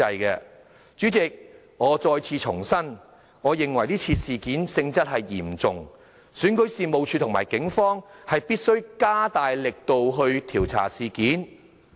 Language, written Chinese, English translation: Cantonese, 代理主席，我重申我認為這事件性質嚴重，選舉事務處和警方必須加大力度調查事件。, Deputy President I reiterate that this is a serious incident and REO and the Police must work harder to unravel the details